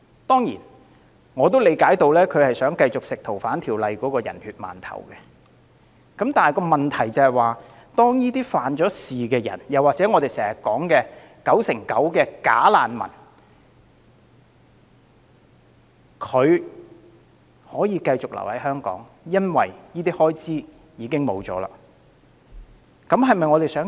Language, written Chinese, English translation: Cantonese, 當然，我明白他是想繼續吃《逃犯條例》的"人血饅頭"，但當遞解預算被削，外來罪犯或我們經常提及的 99%" 假難民"便可以繼續留港，這是否我們所樂見？, Of course that is because he wants to keep on piggybacking on the Fugitive Offenders Ordinance . However if the budget for deportation is cut incoming criminals and the 99 % bogus refugees that we often discuss may continue to stay in Hong Kong . Is that what we want?